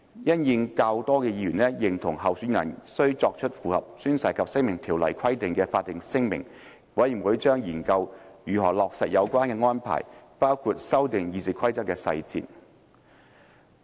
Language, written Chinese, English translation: Cantonese, 因應較多議員認同候選人須作出符合《宣誓及聲明條例》規定的法定聲明，委員會將研究如何落實有關安排，包括修訂《議事規則》的細節。, As a higher proportion of Members opined that candidates for the office of the President should be required to make a statutory declaration in compliance with the requirements under the Oaths and Declarations Ordinance the Committee would study the implementation details including revising the requirements under the Rules of Procedure